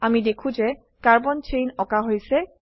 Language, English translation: Assamese, We see that carbon chain is drawn